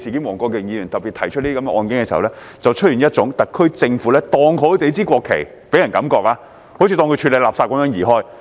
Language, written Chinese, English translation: Cantonese, 黃國健議員特別提出的個案所給人的感覺是，特區政府把市民的國旗好像處理垃圾般移開。, The case particularly mentioned by Mr WONG Kwok - kin gives us an impression that the HKSAR Government has removed the national flag from the citizens as if it were garbage